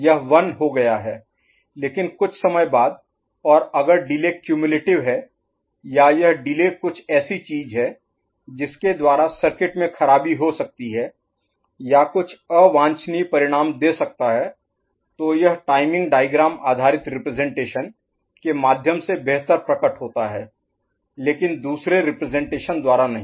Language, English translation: Hindi, And if the delay is cumulative or this delay is something by which the circuit can malfunction or can give some undesirable result, that is better manifested through diving diagram based representation but not by others